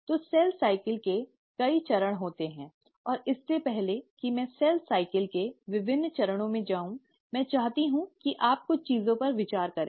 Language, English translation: Hindi, So cell cycle consists of multiple steps and before I get into the different steps of cell cycle, I just want you to ponder over a few things